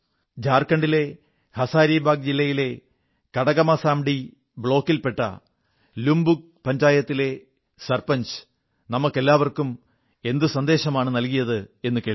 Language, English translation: Malayalam, Come let's listen to what the Sarpanch of LupungPanchayat of Katakmasandi block in Hazaribagh district of Jharkhand has to say to all of us through this message